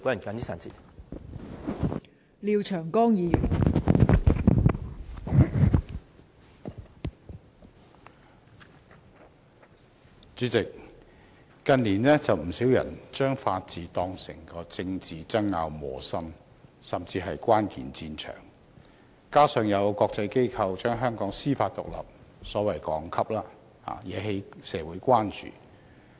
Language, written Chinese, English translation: Cantonese, 代理主席，近年有不少人把法治當成政治爭拗的磨心，甚至是關鍵戰場，加上有國際機構降低香港司法獨立的所謂排名，惹起社會關注。, Deputy President in recent years many people have put rule of law in the middle of political conflicts even considering it the critical battlefield . Moreover the downgrades of the so - called ranking for Hong Kongs judicial independence by certain international institutions have caused concern in society